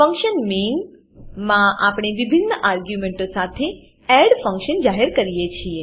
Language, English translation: Gujarati, In function main we declare the add function with different arguments